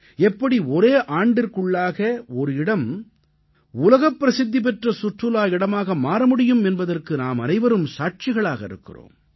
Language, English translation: Tamil, We are all witness to the fact that how within a year a place developed as a world famous tourism destination